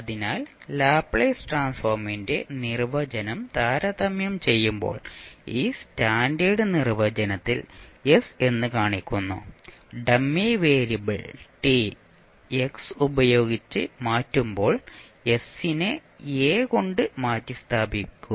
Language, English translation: Malayalam, So you can say that when we compare the definition of Laplace transform shows that s is this, the standard definition and you simply replace s by s by a while you change the dummy variable t with x